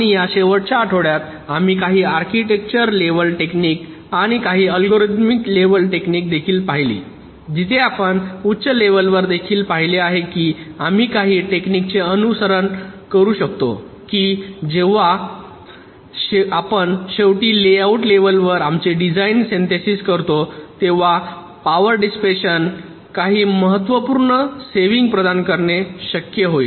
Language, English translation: Marathi, and in this last week we looked at some architecture level techniques and also some algorithmic level techniques where, even at the higher level, you have seen, if we we can follow some techniques, it is possible to provide some significant saving in power dissipation when we finally synthesis our design into the layout level up to the layout level